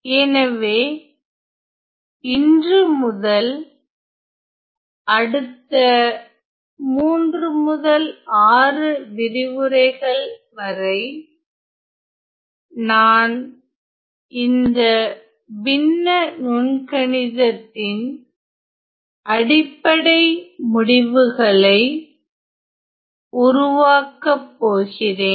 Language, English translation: Tamil, So, today from the next 3, 3 to 6 lectures I am going to develop some of the basic results in fractional calculus ok